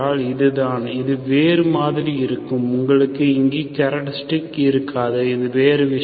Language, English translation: Tamil, So this is what, this is a different, you will not have characteristics here, so this is a different thing